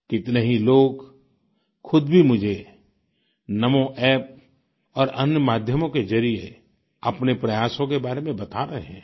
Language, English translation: Hindi, There are many people who are conveying their efforts to me through the NAMO app and other media